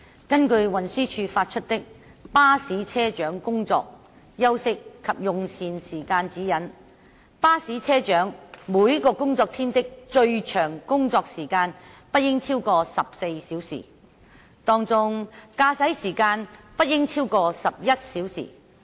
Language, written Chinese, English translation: Cantonese, 根據運輸署發出的《巴士車長工作、休息及用膳時間指引》，巴士車長每個工作天的最長工作時間不應超過14小時，當中駕駛時間不應佔超過11小時。, According to the Guidelines on Bus Captain Working Hours Rest Times and Meal Breaks issued by the Transport Department TD the longest duty hours of a bus captain in a working day should not exceed 14 hours of which driving time should not account for more than 11 hours